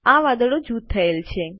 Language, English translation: Gujarati, The clouds are grouped